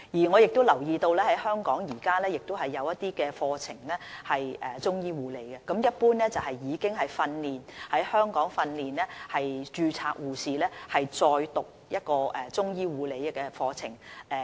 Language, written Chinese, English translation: Cantonese, 我留意到香港現時也有一些中醫護理課程，一般是讓已在香港受訓的註冊護士，再修讀一個中醫護理課程。, I note that there are some training programmes on Chinese medicine nursing in Hong Kong . These programmes in general aims to provide training on Chinese medicine nursing to registered nurses in Hong Kong who have already received nursing training